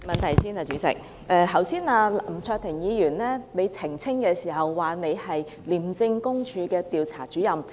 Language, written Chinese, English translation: Cantonese, 剛才林卓廷議員要求何議員澄清的時候說，他是廉政公署的調查主任。, When Mr LAM Cheuk - ting sought clarification from Dr HO he said he was an Investigator of ICAC